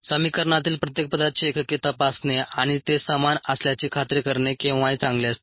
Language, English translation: Marathi, we saw it's always good to check for check the unit's of each term in an equation and ensure that it is the same